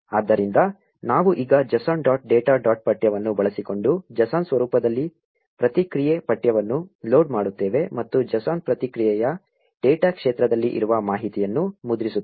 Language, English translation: Kannada, So, we now load response text in JSON format using json dot loads data dot text and print the information present in the data field of the JSON response